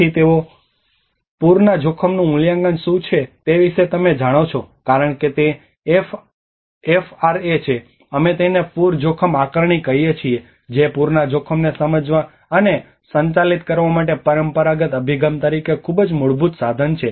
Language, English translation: Gujarati, So first they talk about what is a flood risk assessment you know because that is FRA, we call it as flood risk assessment that is a very basic key tool as a traditional approach in the traditional approach to understand and managing the flood risk